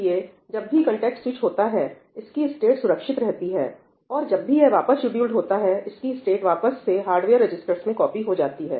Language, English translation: Hindi, So, whenever the context switch happens, its state is saved, and whenever it is scheduled back the state is copied back into the hardware registers